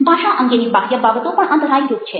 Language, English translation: Gujarati, external things ah, about the language is a hurdle